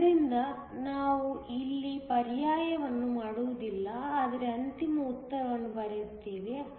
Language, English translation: Kannada, So, we will not do the substitution here, but just write the final answer